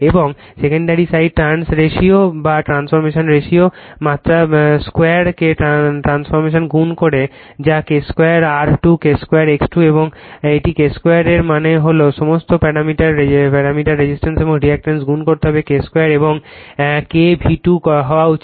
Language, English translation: Bengali, And secondary side you have transform by multiplying your what you call just square of the trans ratio or transformation ratio that is K square R 2, K square X 2 and this is K square all that means, all the parameters resistance and reactance you have to multiply by K square and this should be K V 2